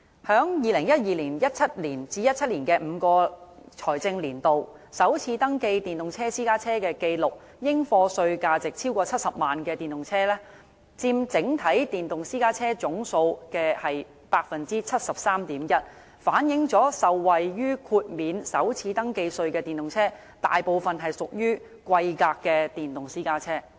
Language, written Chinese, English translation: Cantonese, 在2012年至2017年的5個財政年度，首次登記電動私家車的紀錄，應課稅價值超過70萬元的電動車，佔整體電動私家車總數的 73.1%， 反映受惠於豁免首次登記稅的電動私家車，大部分屬於貴價的電動私家車。, In the five financial years from 2012 to 2017 electric private cars registered for the first time and with a taxable value of over 700,000 accounted for 73.1 % of all electric private cars . This shows that most of the electric private cars benefiting from the first registration tax concessions are expensive ones